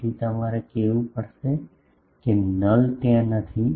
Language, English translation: Gujarati, So, you will have to say that null is not there